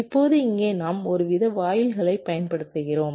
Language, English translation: Tamil, now here we are using some kind of gates